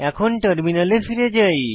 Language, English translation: Bengali, Lets switch to the terminal